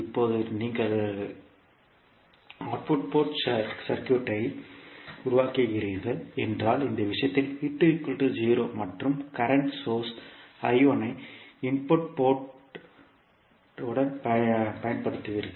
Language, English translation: Tamil, Now, you are making output port short circuit means V2 is 0 in this case and you are applying the current source I1 to the input port